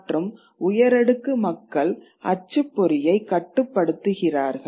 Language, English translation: Tamil, And certainly the elite also controls the press